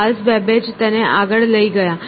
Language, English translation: Gujarati, Charles Babbage took this to the next step